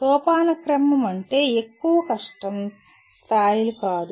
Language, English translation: Telugu, Hierarchy does not mean higher difficulty levels